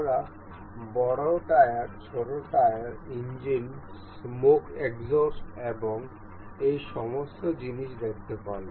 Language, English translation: Bengali, We can see these parts of this the larger tires, the smaller tire, the engines, the smoke exhaust and all those things